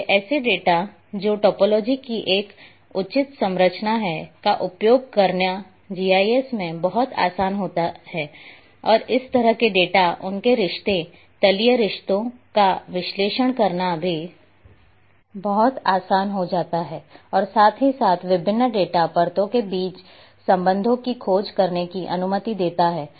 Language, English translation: Hindi, So, using such a data which is having a proper structure of topology it becomes much easier to handle in GIS, it becomes much easier to analyze such data, their relationship, planar relationships and allow allows us to discover relationship between a different data layers as well